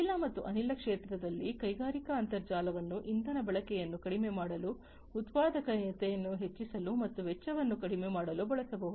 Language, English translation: Kannada, In the oil and gas sector the industrial internet can be used to reduce fuel consumption, enhancing productivity and reducing costs